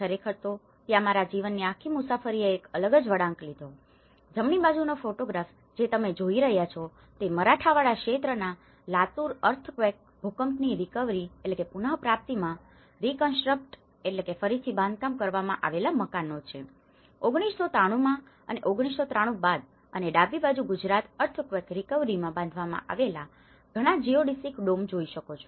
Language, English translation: Gujarati, In fact, where my whole journey of my life has taken a different turn, the right hand side photograph which you are seeing, which is the reconstructed houses in the Latur Earthquake recovery in the Marathwada region and 1993 posts 1993 and on the left hand side you can see many of the Geodesic Domes constructed in Gujarat Earthquake recovery